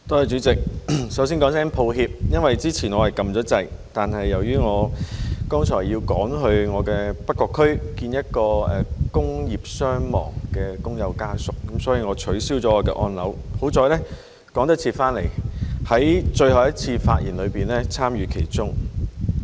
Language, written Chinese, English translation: Cantonese, 主席，首先說聲抱歉，因為之前我按了鈕，但由於我剛才要趕去我的北角區見一名工業傷亡工友的家屬，所以我取消了我的按鈕，幸好趕得及返來在最後一輪發言參與其中。, President first of all I would like to apologize for having reset my button which I pressed earlier because I had to rush to my constituency of North Point to see the family of a worker who was killed in an industrial accident . Thankfully I have been able to come back in time to speak in the last round